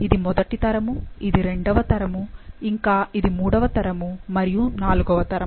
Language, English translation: Telugu, This is first generation, second generation, third generation and fourth generation